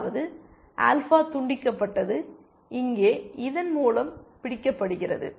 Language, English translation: Tamil, That is, that step of alpha cut off is captured by this step here